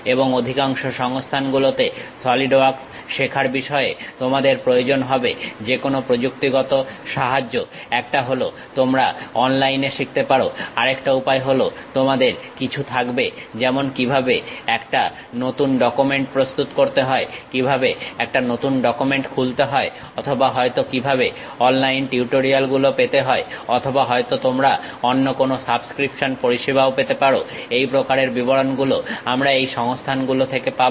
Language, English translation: Bengali, And most of the resources you require any technical help regarding learning Solidworks one on online you will learn, other way you will have something like how to create a new document, how to open a new document or perhaps how to get online tutorials or perhaps some other subscription services you would like to have these kind of details we will get at this resources